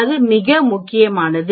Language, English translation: Tamil, It is quite simple